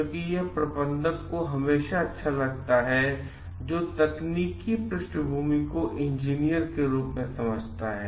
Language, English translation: Hindi, Because it is always good to have a manager who understands the technical background as the engineer does